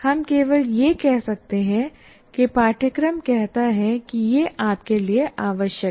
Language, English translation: Hindi, You can only say the curriculum says it is important for you